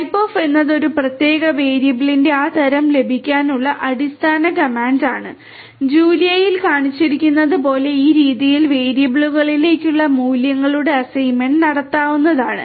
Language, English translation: Malayalam, Type of is a basically comment for getting that type of a particular variable and this assignment of values to variables can be done in this manner as shown in Julia